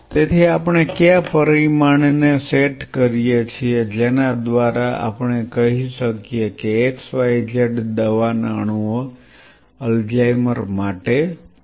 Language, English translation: Gujarati, So, we will be going by which set the parameter we say x y z these are the drug molecules fine drug molecules against Alzheimer’s